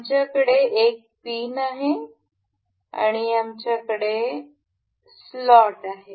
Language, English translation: Marathi, We have a pin and we have a slot